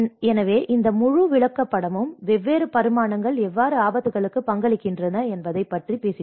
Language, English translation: Tamil, So, this whole chart talks about how different dimensions contribute to the risks